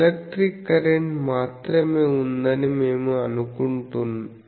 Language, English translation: Telugu, So, we assume that there is only electric current